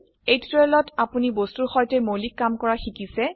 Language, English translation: Assamese, In this tutorial, you have learnt the basics of working with objects